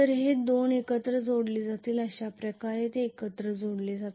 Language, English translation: Marathi, These 2 will be connected together this is how they will be connected together